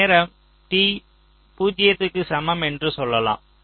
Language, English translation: Tamil, so this is my, lets say, time t equal to zero